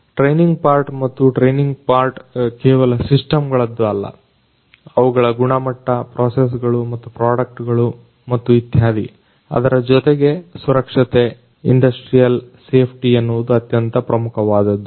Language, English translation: Kannada, The training part and particularly the training with respect to not only the systems the quality of them, the processes and the products and so on, but also the safety, safety, industrial safety is paramount